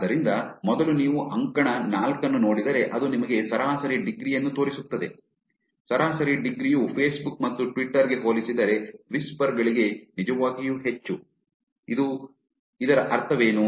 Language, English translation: Kannada, So, first if you look at the column four, which shows you average degree, the average degree is actually very high for whisper compared to facebook and twitter, what does it mean